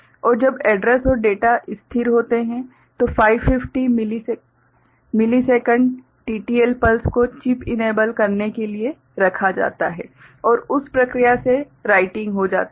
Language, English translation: Hindi, And when address and data are stable, 50 millisecond TTL pulse is placed to chip enable alright and by that process writing gets done